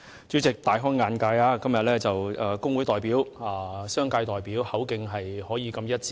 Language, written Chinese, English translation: Cantonese, 主席，我今天大開眼界，工會代表和商界代表竟然口徑一致。, President seeing a trade union representative and a business representative speak with one voice today was an eye - opener for me